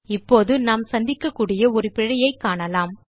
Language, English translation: Tamil, Now let us see an error which we can come across